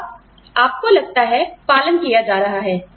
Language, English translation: Hindi, And, you feel, are being nurtured